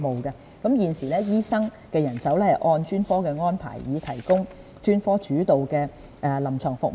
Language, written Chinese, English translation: Cantonese, 現時，醫生人手是按專科安排，以提供專科主導的臨床服務。, Currently doctor manpower is arranged according to specialties to provide specialist - led clinical services